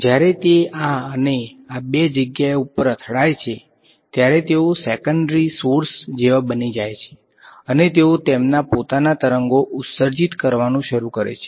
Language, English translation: Gujarati, When it hits over here this and these two guys they become like secondary sources and they start emitting their own waves